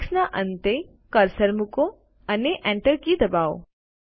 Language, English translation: Gujarati, Place the cursor at the end of the text and press the Enter key